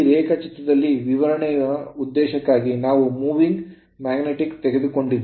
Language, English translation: Kannada, So, there in this diagram in this diagram for the purpose of explanation we have taken a moving magnet